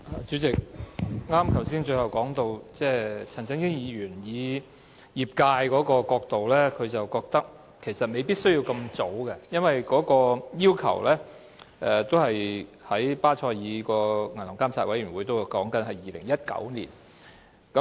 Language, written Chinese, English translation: Cantonese, 主席，我剛才最後談到，陳振英議員以業界的角度來看，認為其實未必需要那麼早通過《條例草案》，因為巴塞爾銀行監管委員會的要求是在2019年落實新監管框架。, President I was talking about Mr CHAN Chun - yings view that it may not be necessary from the perspective of the industry to pass the Bill so early as the BCBS requires the implementation of the new regulatory framework by 2019